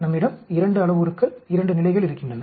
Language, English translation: Tamil, We have 2 parameters 2 levels 2 into 2, 4 experiments